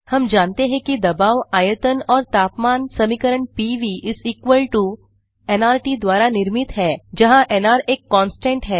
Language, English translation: Hindi, We know that the Pressure, Volume and Temperatures are held by the equation PV = nRT where nR is a constant